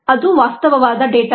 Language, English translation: Kannada, let's actual data